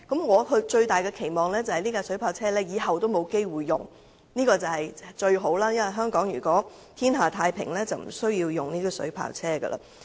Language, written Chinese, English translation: Cantonese, 我最大的期望是，未來不會有機會出動水炮車，這是最好的，因為如果香港天下太平，就無須使用水炮車。, My biggest hope is that water cannon vehicles will never be deployed in the future . This will be the best - case scenario . If Hong Kong is at peace water cannon vehicles need not be deployed